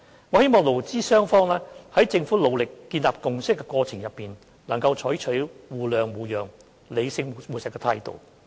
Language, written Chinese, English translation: Cantonese, 我希望勞資雙方在政府努力建立共識的過程中，能採取互諒互讓、理性務實的態度。, I hope that both employers and employees can adopt a rational and pragmatic approach with a sense of mutual understanding and accommodation in this course of the Government endeavouring to forge a consensus